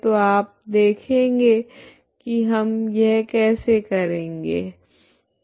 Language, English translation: Hindi, So you will see how we do this